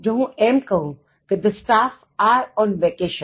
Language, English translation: Gujarati, If I say the staff are on vacation